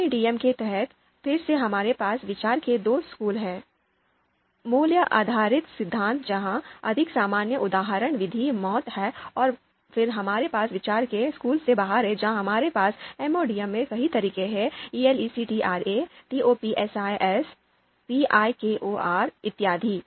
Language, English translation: Hindi, And so in MADM, again we have two schools of thought, value based theories where the you know more common example method is MAUT and then we have outranking school of thought where we have a number of methods ELECTRE, TOPSIS, VIKOR and all those methods are there